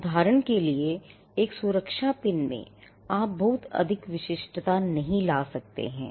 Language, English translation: Hindi, For instance, in a safety pin there is not much uniqueness you can bring